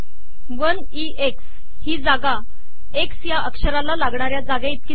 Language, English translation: Marathi, That is the space equivalent of the x character